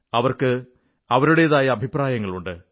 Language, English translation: Malayalam, It has its own set of opinions